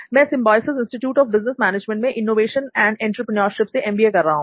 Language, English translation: Hindi, And I am doing my MBA in Innovation and Entrepreneurship from Symbiosis Institute of Business Management